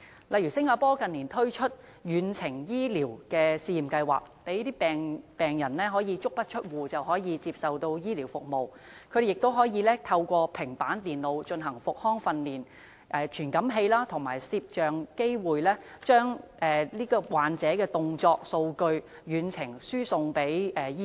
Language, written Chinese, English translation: Cantonese, 例如新加坡近年推出遠程醫療試驗計劃，讓病人足不出戶也可以接受醫療服務，同時透過平板電腦進行復康訓練，以傳感器和攝影機把患者的動作數據遠程輸送給醫生。, For instance Singapore has in recent years launched a telemedicine services scheme to enable homebound patients to receive health care services and at the same time undergo rehabilitation training through tablet computers . Moreover data of the movement of patients can be transmitted to doctors through remote transmission by means of sensors and cameras